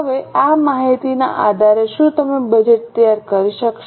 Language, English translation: Gujarati, Okay, now based on this information, are you able to prepare a budget